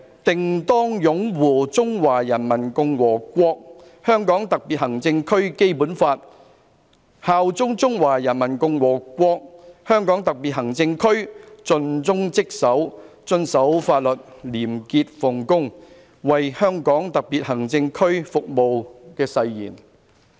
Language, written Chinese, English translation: Cantonese, 定當擁護《中華人民共和國香港特別行政區基本法》，效忠中華人民共和國香港特別行政區，盡忠職守，遵守法律，廉潔奉公，為香港特別行政區服務'的誓言。, 11 that he will uphold the Basic Law of the Hong Kong Special Administrative Region of the Peoples Republic of China bear allegiance to the Hong Kong Special Administrative Region of the Peoples Republic of China and serve the Hong Kong Special Administrative Region conscientiously dutifully in full accordance with the law honestly and with integrity